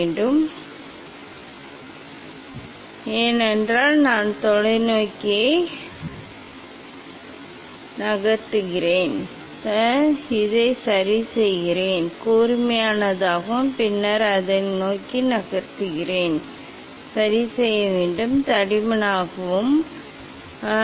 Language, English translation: Tamil, again, I will increase the angle, ok, I will adjust this one because I move towards the telescope, I adjust this one, it is already sharper, and then this I am moving towards the, so I have to adjust this one it is thicker, yes